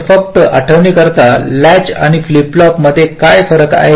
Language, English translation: Marathi, so what is a difference between a latch and a flip flop